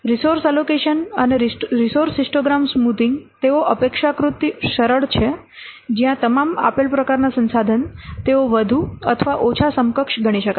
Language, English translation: Gujarati, Allocating resources and smoothing resource histogram, they are relatively straightforward where all the resources of a given type they can be considered more or less equivalent